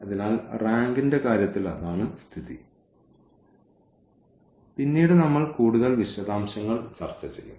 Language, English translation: Malayalam, So, that is the case of in terms of the rank which we will later on discuss more in details